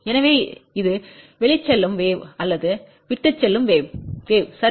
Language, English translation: Tamil, So, this is the outgoing wave or leaving wave, ok